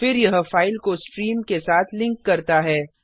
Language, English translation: Hindi, Then it links the file with the stream